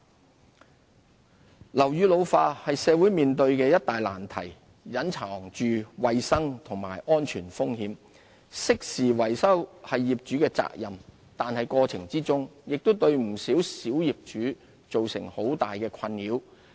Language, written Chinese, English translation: Cantonese, 支援樓宇復修樓宇老化是社會面對的一大難題，隱藏着衞生和安全風險，適時維修是業主的責任，但過程中亦對不少小業主造成很大的困擾。, The ageing of buildings is a thorny issue posing health and safety risks for the community . While owners are responsible for timely maintenance of their buildings many of them find the relevant procedures daunting